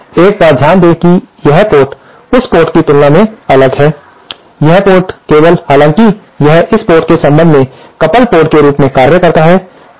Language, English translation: Hindi, Here of course note one thing that this port is isolated with respect to this port only, it however acts as the coupled port with respect to this port